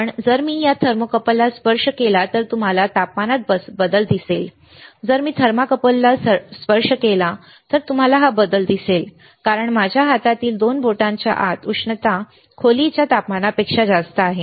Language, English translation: Marathi, But if I touch this thermocouple, you will see the change in temperature, if I touch the thermocouple; you will see the change, because the heat here in my hand within to 2 fingers is more than the room temperature